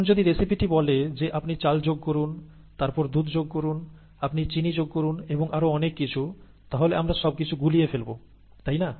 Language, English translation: Bengali, The, if the recipe says you add rice, you add milk, you add sugar, and so on and so forth, we will be completely lost, right